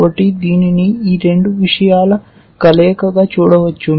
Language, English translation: Telugu, So, you can see it is a combination of these two things